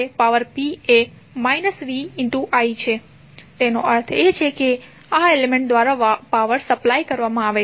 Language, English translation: Gujarati, It means that the power is being supplied by the element